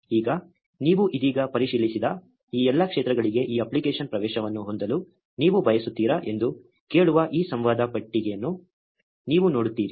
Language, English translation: Kannada, Now, you see this dialogue box asking if you want this app to have access to all these fields that you just checked